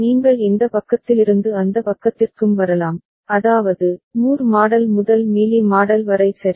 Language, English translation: Tamil, And you can come from this side to that side also, I mean, Moore model to Mealy model also ok